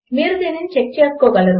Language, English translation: Telugu, You can check it out